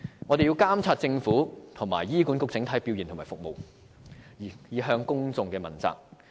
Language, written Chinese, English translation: Cantonese, 我們要監察政府和醫管局的整體表現和服務，以向公眾問責。, We have to monitor the overall performance and services of the Government and HA for public accountability